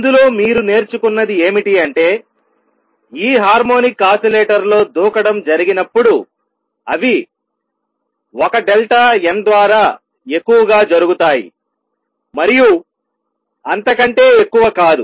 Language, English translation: Telugu, What you learned in this that in this harmonic oscillator when the jumps takes place, they take place at most by 1 delta n and not more than that